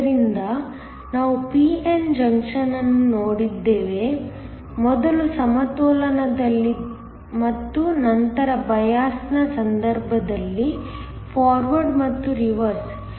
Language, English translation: Kannada, So, we have looked at a p n junction, first in equilibrium and then in the case of a bias, both forward and reverse